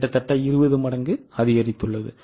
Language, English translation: Tamil, Almost 20 times increase